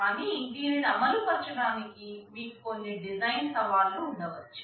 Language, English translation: Telugu, But in order to have this implementation, you may have some design challenges